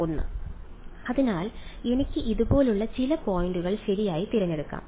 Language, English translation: Malayalam, 1; so, I could choose some points like this right